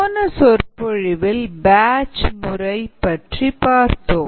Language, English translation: Tamil, in the earlier lecture we saw the batch mode